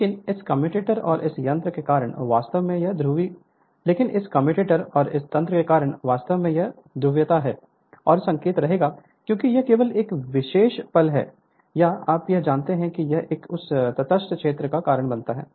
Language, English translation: Hindi, But due to this commuator and this mechanism actually this your polarity this minus and plus sign will remain as it is right only at a your at the particular instant or you can say that when it is sub causes the neutral zone right